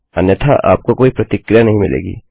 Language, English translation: Hindi, Otherwise you wont get any response